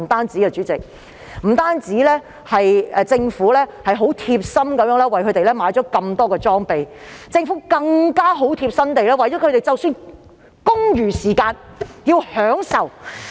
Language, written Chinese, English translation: Cantonese, 主席，政府不但貼心地為他們購置大量裝備，亦貼心地安排他們在公餘時間得到享受。, Chairman not only has the caring Government purchased a large number of equipment for them but also has thoughtfully made arrangements for them to enjoy their leisure time